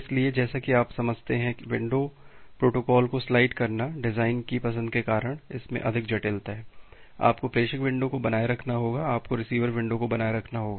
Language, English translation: Hindi, So, sliding window protocol as you understand, because of the design choice, it has more complexity, you have to maintain the sender window, you have to maintain the receiver window